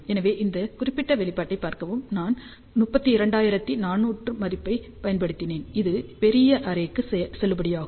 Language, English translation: Tamil, So, see this particular expression I have used 32,400 value which is valid for larger array